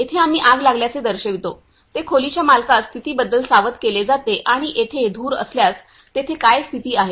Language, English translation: Marathi, Here we show the fire broke out which alert the owner about the condition of room and what is the condition if there is also there is any smoke